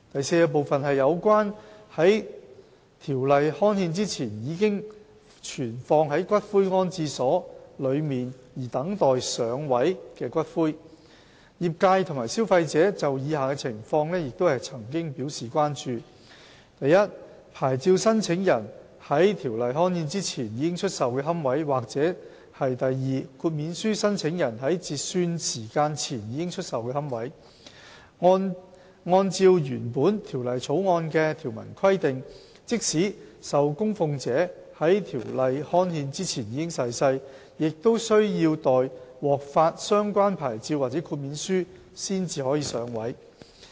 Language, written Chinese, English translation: Cantonese, d 有關在條例刊憲前已存放於骨灰安置所內而等待"上位"的骨灰業界和消費者曾經就以下情況表示關注： i 牌照申請人在條例刊憲前已出售的龕位；或豁免書申請人在截算時間前已出售的龕位，按照原本《條例草案》的條文規定，即使受供奉者在條例刊憲前已逝世，也需要待獲發相關牌照或豁免書才可"上位"。, d Ashes which were kept in the columbaria before the enactment of the ordinance and have not been interred in niches The industry and consumers have expressed concerns over the following situations i niches sold by applicants for a licence before the enactment of the ordinance; or ii niches sold by applicants for an exemption before the cut - off time . The original provisions of the Bill stipulated that even if a dedicated person passed away before the enactment of the ordinance the ashes concerned can only be interred in a niche after the relevant licence or exemption is granted